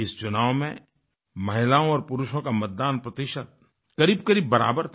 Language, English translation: Hindi, This time the ratio of men & women who voted was almost the same